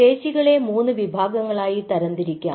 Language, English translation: Malayalam, so there are three muscle types